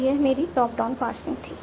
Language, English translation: Hindi, This was my top down passing